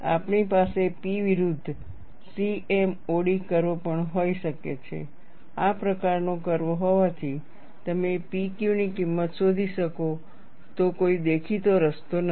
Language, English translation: Gujarati, We could also have the P versus C M O D curve, being a curve like this, there is no apparent way, that you can locate the value of P Q